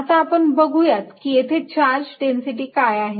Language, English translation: Marathi, let us see what is the charge density